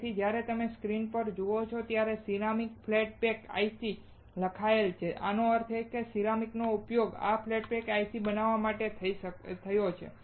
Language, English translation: Gujarati, So, when you see the screen it is written ceramic flat pack IC; that means, ceramic is used for fabricating this flat pack IC